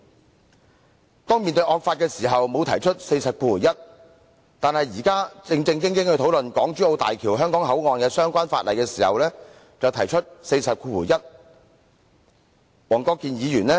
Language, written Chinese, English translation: Cantonese, 黃國健議員面對惡法時沒有引用第401條，但現在其他議員要正正經經討論港珠澳大橋香港口岸的相關附屬法例時，他卻引用第401條。, On this occasion however he invoked RoP 401 when other Members were going to seriously discuss the subsidiary legislation relating to the Hong Kong - Zhuhai - Macao Bridge HZMB Hong Kong Port